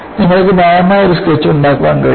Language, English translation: Malayalam, I hope you are able to make a sketch of this